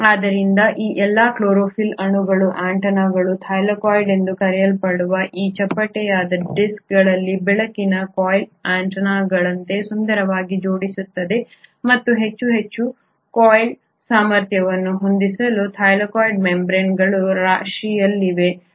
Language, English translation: Kannada, So all these chlorophyll molecules, they beautifully arrange like antennas, light harvesting antennas in these flattened discs called Thylakoid, and to accommodate more and more harvesting potential the Thylakoid membranes exist in stacks